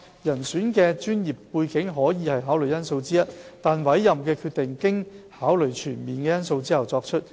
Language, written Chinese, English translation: Cantonese, 人選的專業背景可以是考慮因素之一，但委任的決定經考慮全面的因素後作出。, The professional background of the candidates could be one of the considerations but the decision of appointment is made after balancing all factors